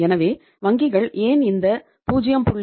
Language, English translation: Tamil, So why banks want this 0